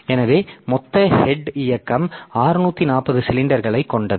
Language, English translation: Tamil, So, the total head movement is of 640 cylinders